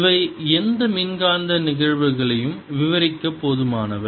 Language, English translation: Tamil, these are sufficient to describe any electromagnetic phenomena